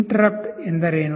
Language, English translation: Kannada, What is an interrupt